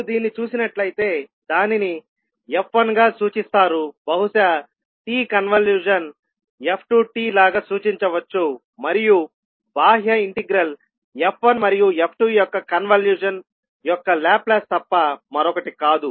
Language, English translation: Telugu, So if you see this you will simply represent it as f1 maybe t convolution of f2 t and then the outer integral is nothing but the Laplace of the convolution of f1 and f2